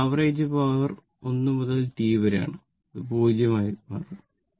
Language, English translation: Malayalam, Now, the average power average power 1 to T if you then it will become 0